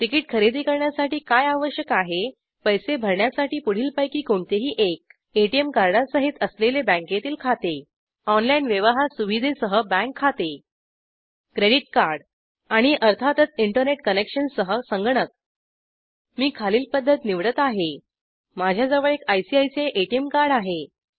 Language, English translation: Marathi, What is needed to buy a ticket , Any one of the following for payment The bank account with an ATM card The bank account with online transaction capability, The credit card And of course the computer with internet connection The method i will choose is the following#160 I have an ICICI ATM card It is also a visa debit card